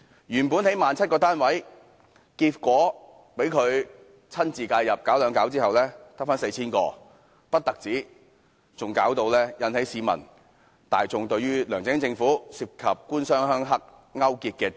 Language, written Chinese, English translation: Cantonese, 原本說要興建 17,000 個公屋單位，結果被他親自介入"搞兩搞"後，只剩下 4,000 個，此事更令市民大眾懷疑梁振英政府勾結"官商鄉黑"。, It was originally planned to construct 17 000 public housing units but subsequent to his interference the target is reduced to only 4 000 units . People cannot help but suspect that there is government - business - rural - triad collusion under the LEUNG Chun - ying Government . Another example is the development of North East New Territories